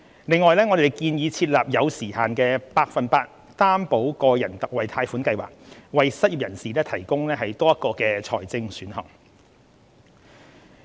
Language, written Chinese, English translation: Cantonese, 另外，我們建議設立有時限的百分百擔保個人特惠貸款計劃，為失業人士提供多一個財政選項。, In addition the Budget proposes to set up a time - limited Special 100 % Loan Guarantee for Individuals Scheme with a view to providing an additional financing option for the unemployed